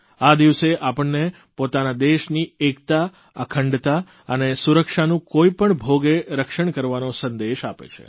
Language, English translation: Gujarati, This day imparts the message to protect the unity, integrity and security of our country at any cost